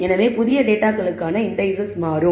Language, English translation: Tamil, So, the indices for the new data will change